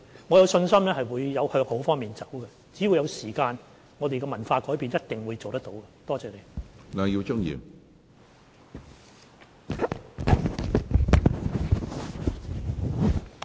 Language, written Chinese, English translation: Cantonese, 我有信心可以向好的方面改變，只要有時間，我們一定可以改變文化。, I am confident that we can change for the better . Only if we have time we can surely change the culture